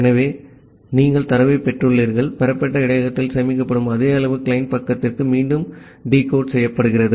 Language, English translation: Tamil, So, you have received the data, which is stored in the received buffer same data is decode back to the to the client side